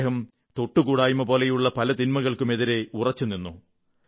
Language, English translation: Malayalam, He stood firm against social ills such as untouchability